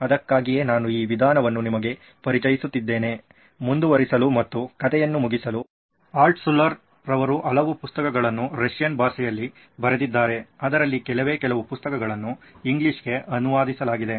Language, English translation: Kannada, So this is why I am introducing you to this method, to continue and finish up the story Altshuller wrote many, many books in Russian Few of them were translated to English